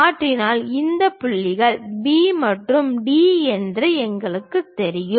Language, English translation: Tamil, Once we transfer that we know these points B and D